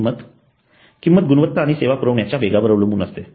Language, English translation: Marathi, The price depends on quality and quickness of the service performance